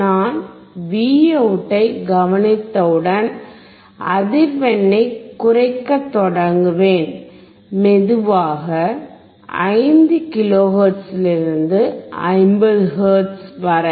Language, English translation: Tamil, Once I observe the Vout, I will start decreasing the frequency slowly from 5 kilohertz to 50 hertz